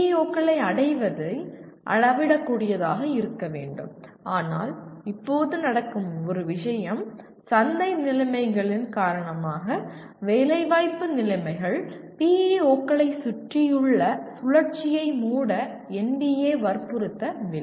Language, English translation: Tamil, The attainment of PEOs should be measurable but one thing that happens as of now because of the market conditions are the placement conditions NBA does not insist on closing the loop around PEOs